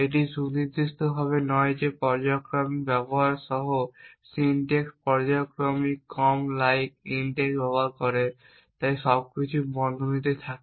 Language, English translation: Bengali, This is not precisely that the syntax with periodical uses, periodical uses less like’s intakes so everything is in brackets